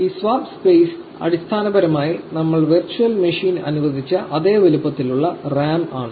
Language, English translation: Malayalam, This swap space is essentially the same size the RAM that we allocated virtual machine